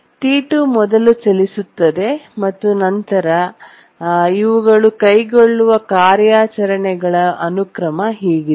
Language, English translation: Kannada, Now T2 runs first and then these are the sequence of operations they undertake